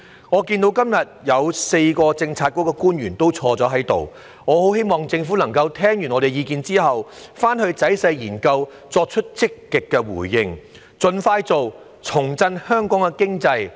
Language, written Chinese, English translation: Cantonese, 我看到今天有4位政策局官員在席，我十分希望政府聽罷我們的意見後會仔細研究，作出積極的回應並盡快做，重振香港經濟。, I see four bureau officials present today . I earnestly hope that after listening to our views the Government will carry out detailed studies and make active responses expeditiously thereby reinvigorating the economy of Hong Kong